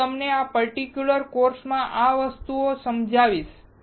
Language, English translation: Gujarati, I will explain you in this particular course this particular thing